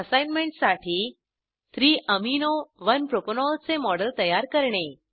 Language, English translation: Marathi, For the Assignment Create a model of 3 amino 1 propanol